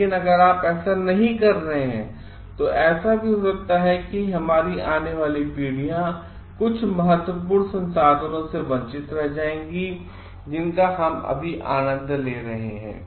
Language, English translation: Hindi, But if you are not doing this, then may be our future generations and will be deprived of some important resources that we are enjoying now